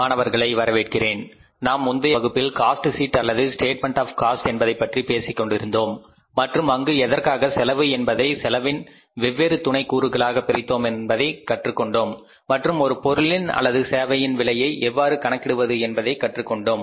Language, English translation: Tamil, So, in the previous class we were talking about the cost sheet or statement of the cost and there we were learning about that why the total cost is divided over the different sub components of the cost and how the total cost of the product or service is calculated